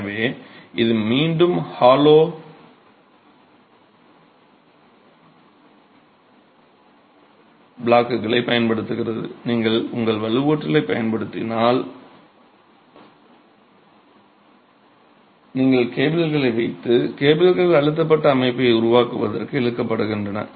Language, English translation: Tamil, So, this is again with the use of hollow blocks, you put in your reinforced, you put in the cables and the cables are tensioned to create the pre stressed system itself